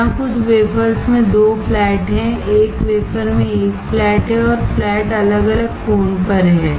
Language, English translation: Hindi, There are 2 flats, in some wafers there is 1 flat in 1 wafer and the flats are at different angle